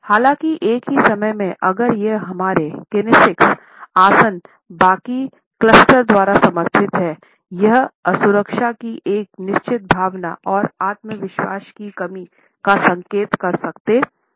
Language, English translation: Hindi, However, at the same time if it is supported by the rest of the clustering of our kinesics postures it can also indicate a certain sense of insecurity and lack of self confidence